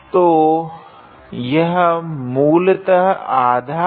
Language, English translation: Hindi, So, this is basically half